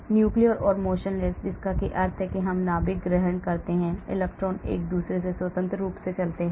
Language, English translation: Hindi, nuclear or motionless that means we assume nucleus, electrons move independently of one another